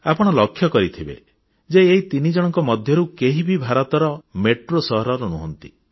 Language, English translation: Odia, You must have noticed that all these three daughters do not hail from metro cities of India